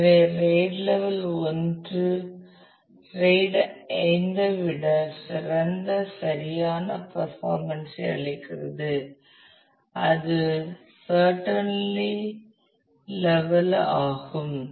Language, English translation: Tamil, So, RAID level 1 gives a better right performance, than RAID 5 and it is certainly level